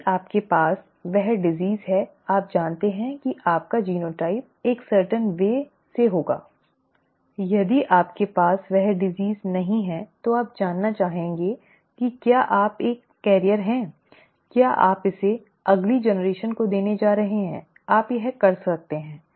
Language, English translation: Hindi, If you have the disease you know that your genotype could be a certain way, if you do not have the disease you would like to know whether you are a carrier, whether you are going to pass it on to the next generation, one can do that